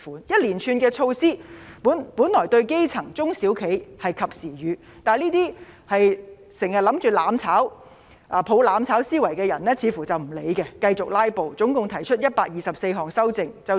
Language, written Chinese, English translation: Cantonese, 一連串的措施本來對基層、中小企是及時雨，但這些經常企圖"攬炒"和抱着"攬炒"思維的人似乎不理會，繼續"拉布"，總共提出124項修正案。, The series of measures could have offered timely help for the grass roots and SMEs . However those who always try to burn together and embrace the mentality of mutual destruction seem not to care and continue to filibuster by moving 124 amendments